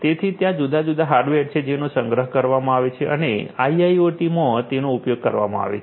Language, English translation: Gujarati, So, there are different hardware that are procured and are being used in IIoT